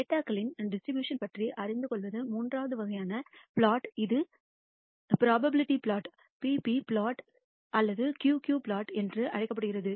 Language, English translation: Tamil, The third kind of plot which is very useful is to know about the distribution of the data and this is called the probability plot the p p plot or the q q plot